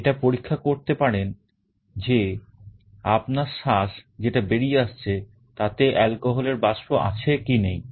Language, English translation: Bengali, It can check whether your breath that is coming out contains means alcohol vapor or not